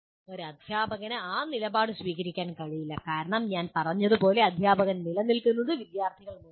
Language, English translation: Malayalam, You cannot take that situation because, as I said, we exist because of the students